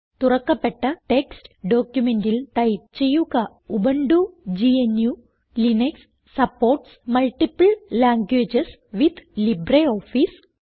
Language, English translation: Malayalam, In the opened text document, lets type, Ubuntu GNU/Linux supports multiple languages with LibreOffice